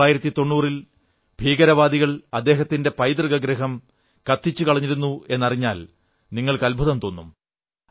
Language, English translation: Malayalam, You will be surprised to know that terrorists had set his ancestral home on fire in 1990